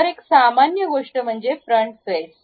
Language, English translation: Marathi, So, one of the normal is this front face